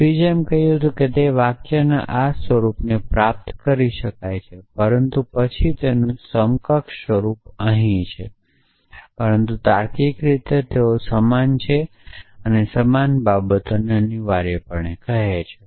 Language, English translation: Gujarati, So, Frege saying that not that he can derive this form of the sentence, but then equivalent form of sentence here, but logically they are the same they are saying the same thing essentially